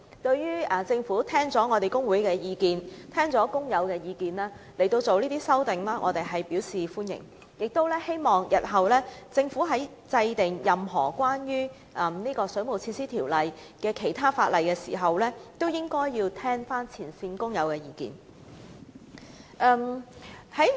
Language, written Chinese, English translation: Cantonese, 對於政府在聽取工會和工友的意見後作出相關修訂，我們表示歡迎，亦希望政府日後在制定任何關於《水務設施條例》的其他條文時，也能聆聽前線工友的意見。, We welcome that the Government proceeded to come up with relevant amendments after listening to the views of both the trade unions and workers and hope that it will also listen to the views of frontline workers in formulating any other provisions of the Waterworks Ordinance WWO